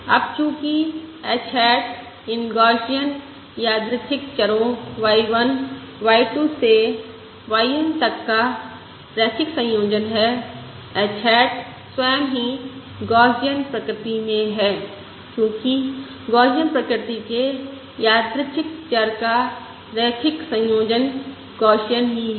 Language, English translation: Hindi, Now, since h hat is the linear combination of these Gaussian random variables, y1, y, 2, y k, h hat itself is Gaussian in nature because the linear combination of Gaussian random variables is Gaussian itself